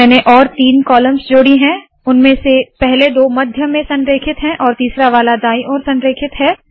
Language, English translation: Hindi, So I have added three more columns, first two of them are center aligned the third one is right aligned